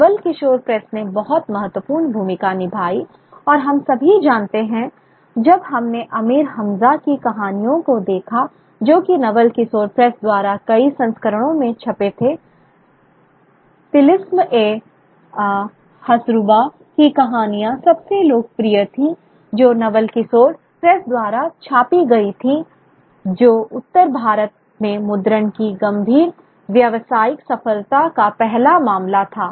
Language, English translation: Hindi, The Naval Kishore Press spread a very very important role and we all know that we have when we looked at the tales of Amir Hamza which which was printed by the Novel Khrushore Press in multiple volumes, the stories of the Telashme Ho Shruba being the most popular one, were also undertaken by the Novel Kishore Press